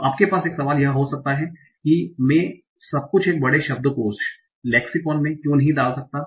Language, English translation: Hindi, So one question you might have is that okay, why can't I put everything together in a big lexicon